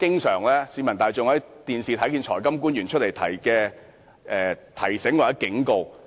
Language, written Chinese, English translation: Cantonese, 市民大眾在電視上經常看到財金官員作出此類的提醒或警告。, Members of the public can always hear this kind of warnings given by financial officials on television